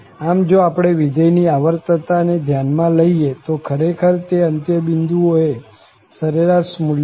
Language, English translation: Gujarati, So, if we consider the periodicity of the function, it is actually again the average value at the end points as well